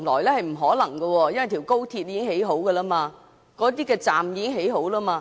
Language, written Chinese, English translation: Cantonese, 這是不可能的，因為高鐵和高鐵的車站已完成興建。, That is just impossible for the construction of XRL and the terminus will have been completed